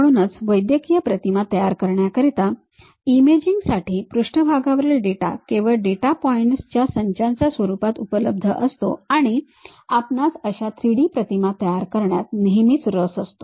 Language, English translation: Marathi, So, for medical imaging image generation surface data is available only in the form of set of data points and what we all all the time interested is constructing that 3D image